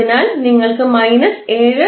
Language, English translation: Malayalam, So, you will get minus 7